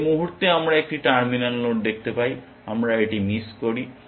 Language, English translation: Bengali, The moment we see a terminal node we missed it